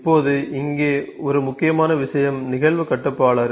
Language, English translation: Tamil, Now, an important point here is event controller